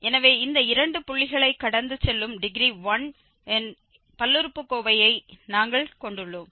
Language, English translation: Tamil, So, we got this polynomial of degree 1 in terms of the divided difference